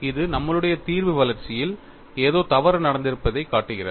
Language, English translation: Tamil, This shows something has gone wrong in our solution development